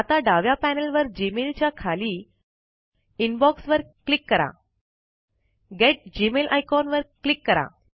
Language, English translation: Marathi, Now, from the left panel, under the Gmail account, click Inbox.Click the Get Mail icon